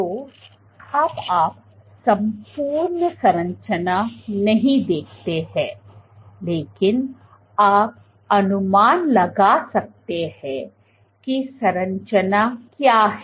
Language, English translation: Hindi, So, now you do not see the entire structure, but you can guess what that structure is